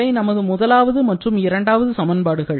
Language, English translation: Tamil, So, this is the equation that we have just written